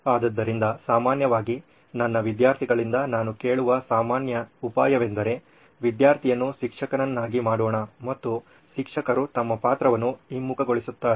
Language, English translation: Kannada, So the most common idea that normally I hear from my students is let’s make the student a teacher and the teacher reverses the role